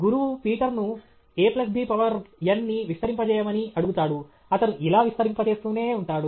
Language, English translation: Telugu, Teacher asks Peter to expand a plus b to the power of n; he keeps on expanding like this